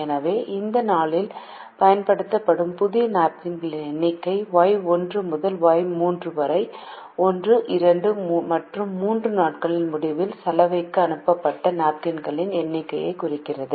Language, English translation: Tamil, so the number of new napkins used on that day y one to y three represent the number of napkins sent to laundry at the end of days one, two and three